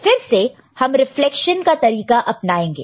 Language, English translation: Hindi, Again, we will do the deflection